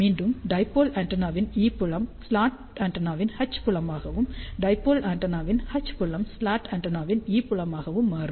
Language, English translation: Tamil, So, again e field of the dipole antenna becomes H field of the slot antenna, and H field of the dipole antenna becomes E field of the slot antenna